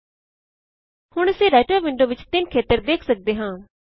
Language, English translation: Punjabi, Now we can see three areas in the Writer window